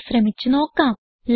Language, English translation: Malayalam, Let us try it